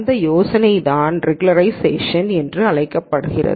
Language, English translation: Tamil, This idea is what is called as regularization